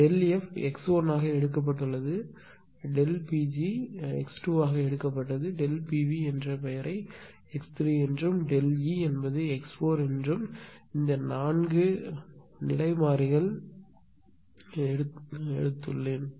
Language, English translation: Tamil, Delta has been taken as x 1, delta P g taken as x 2 this I have given a name delta P V x 3 and delta E as x 4 this 4 state variables right